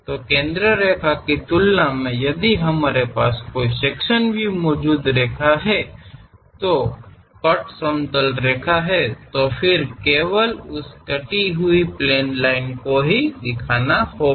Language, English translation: Hindi, So, compared to the center line, we if there is a sectional view line is present, cut plane line; then one has to show only that cut plane line